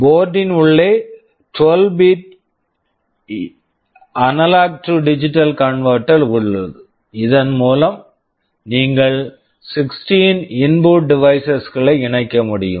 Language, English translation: Tamil, Inside the board there is a 12 bit A/D converter and you can connect up to 16 input devices to it